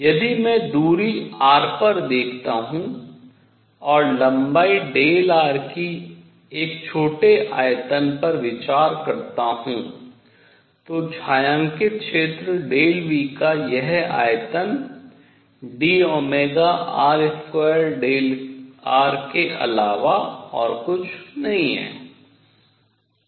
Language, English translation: Hindi, If I look at a distance r and consider a small volume of length delta r then this volume of the shaded region delta V is nothing but d omega r square delta r